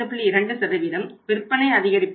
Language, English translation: Tamil, 2% of the increased sales